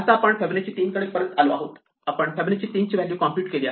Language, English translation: Marathi, Now, we are back to Fibonacci of 3